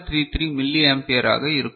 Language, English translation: Tamil, 33 milli ampere for each one of them